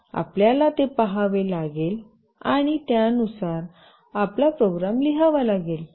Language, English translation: Marathi, You have to see that and write your program accordingly